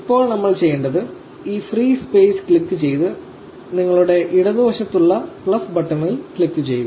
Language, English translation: Malayalam, Now, what we have to do is click this free space and click on the plus button in your left